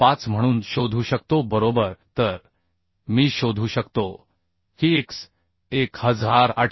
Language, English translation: Marathi, 05 right so I can find out that that x will be 1803